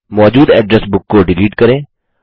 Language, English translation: Hindi, Delete an existing Address Book